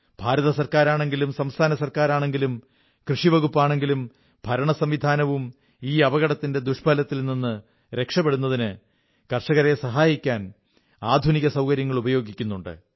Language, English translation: Malayalam, Be it at the level of the Government of India, State Government, Agriculture Department or Administration, all are involved using modern techniques to not only help the farmers but also lessen the loss accruing due to this crisis